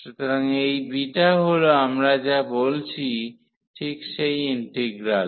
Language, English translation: Bengali, So, this is exactly the integral we are talking about in this beta